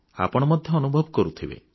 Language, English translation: Odia, You too must have felt it